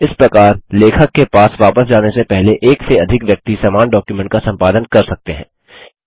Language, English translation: Hindi, Thus more than one person can edit the same document before it goes back to the author